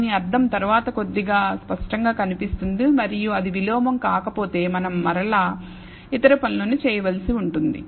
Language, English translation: Telugu, The meaning of this will become little clearer later, and if it is not invertible we will have to do other things which we will again talk in another lecture